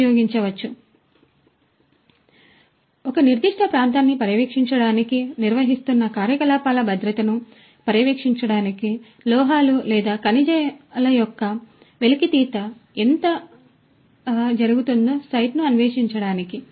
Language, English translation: Telugu, So, for monitoring the safety of the operations that are being conducted to surveil a particular area, to explore the site how much of extraction and extraction of the minerals extraction of the metals or the minerals are being taken how much is left